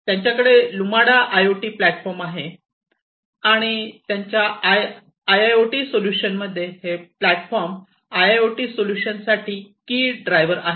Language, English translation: Marathi, So, they have the Lumada IoT platform and this platform basically is the key driver in their IIoT solution